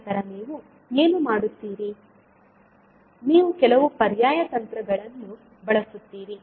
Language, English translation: Kannada, Then what you will do, you will use some alternate technique